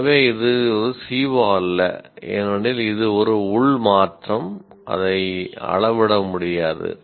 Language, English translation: Tamil, So, this is not a, because it being an internal change, it cannot be measured